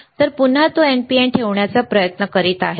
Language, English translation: Marathi, So, again he is trying to keep it NPN